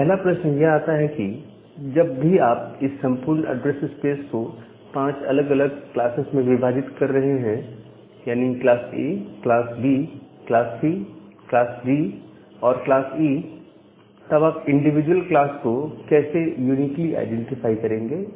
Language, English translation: Hindi, Now, the first question comes that whenever you are dividing this entire address space into five different classes: class A, class B, class C, class D, and class E, then how will you uniquely identify this individual classes